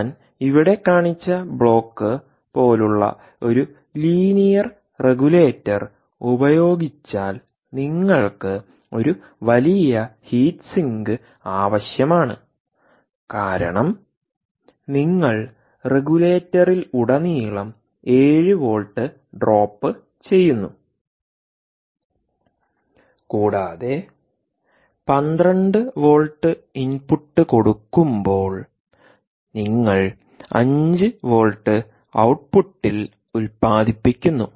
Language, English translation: Malayalam, if you do a linear regulator, like the block i showed you here, you need a huge heat sink because you are dropping seven volts across the regulator and you are generating five volts at the output for an input of twelve volts